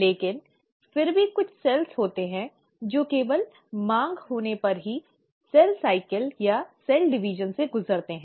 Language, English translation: Hindi, But then, there are certain cells which undergo cell cycle or cell division only if there’s a demand